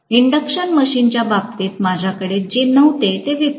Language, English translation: Marathi, Unlike, what I had in the case of an induction machine